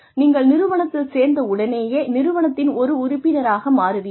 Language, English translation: Tamil, You become part of the organization, as soon as you join the organization